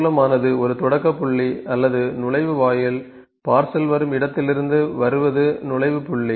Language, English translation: Tamil, Source is a starting point or the entry gate ok, A entry point from where the parcel coming